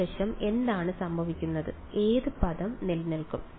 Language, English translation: Malayalam, What happens is the left hand side, which term will survive